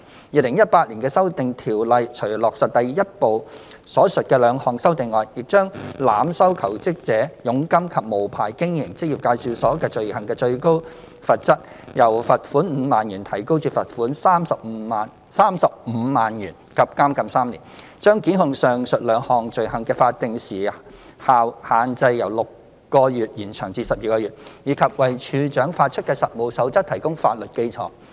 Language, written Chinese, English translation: Cantonese, 2018年的《修訂條例》除落實第一部分所述的兩項修訂外，亦將濫收求職者佣金及無牌經營職業介紹所罪行的最高罰則，由罰款5萬元提高至罰款35萬元及監禁3年；將檢控上述兩項罪行的法定時效限制由6個月延長至12個月；以及為處長發出的《實務守則》提供法律基礎。, Prosecution will be initiated where there is sufficient evidence to substantiate that an EA has violated the law . Apart from implementing the two amendments mentioned in Part 1 above EAO 2018 has also increased the maximum penalties for the offences of overcharging of commissions from jobseekers and unlicensed operation from a fine of 50,000 to a fine of 350,000 and imprisonment for three years; extended the statutory time limit for prosecution of the above two offences from 6 to 12 months; and provided a legal basis for CoP issued by the Commissioner